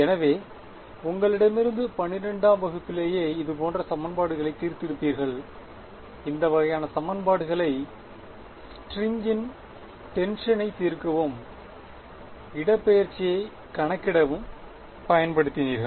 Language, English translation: Tamil, So, back from you know class 12 you used to solve this kind of equations the tension on the string and calculate the displacement all of those things